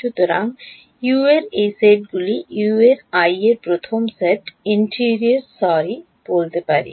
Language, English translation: Bengali, So, these sets of U’s are first set of U’s I can say interior sorry like this